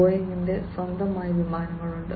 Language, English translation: Malayalam, Boeing has its own aircrafts